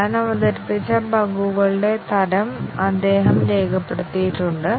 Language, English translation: Malayalam, He has recorded what type of bugs he has introduced